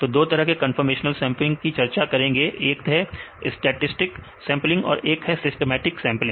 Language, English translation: Hindi, So, conformational sampling, 2 types of a conformational sampling we discussed, one is the stochastic sampling one is the systematic sampling